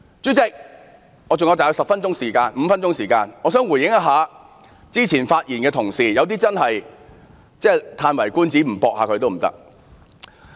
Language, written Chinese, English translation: Cantonese, 主席，我還有大約5分鐘的發言時間，我想就剛才一些同事的發言作一些回應。, President I still have some five minutes left and I would like to respond to the earlier speeches given by my Honourable colleagues